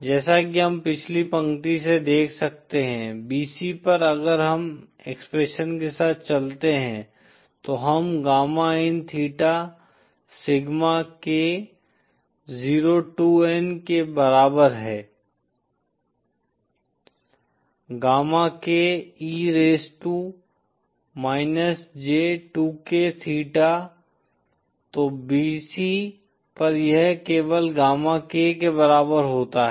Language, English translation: Hindi, As we can see from the previous line, at bc if we go with the expression that we have just derived, gamma in theta equal sigma k 02n, gamma k e raised to –j2k theta, then at bc this is simply equal to gamma k